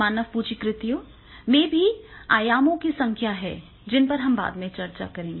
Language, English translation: Hindi, Human capital creation also have the number of dimensions that we will discuss later on